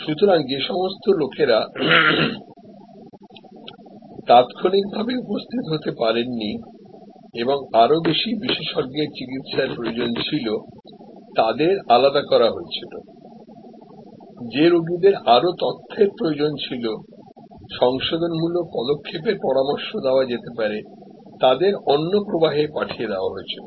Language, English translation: Bengali, So, people who could not immediately be attended to and needed much more specialized treatment were segregated, patients where more information were needed, corrective actions could be suggested and they were send on another stream